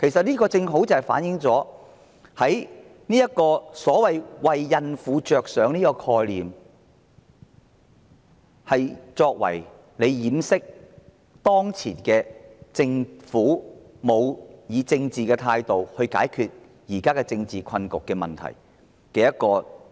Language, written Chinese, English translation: Cantonese, 這正好反映所謂為孕婦着想的說法，其實只是遮羞布，藉以掩飾政府沒有以政治手段解決當前政治困局和問題的事實。, This can just reflect that the argument of doing this for the good of expectant mothers is nothing but a fig leaf to cover up the shame of the Governments failure to tackle the current political predicament and problems through political means